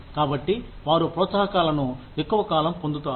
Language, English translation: Telugu, And there, so they get the incentives, after a longer period of time